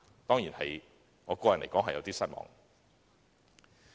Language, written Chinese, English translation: Cantonese, 當然，我個人對此感到有點失望。, Certainly I am quite disappointed about it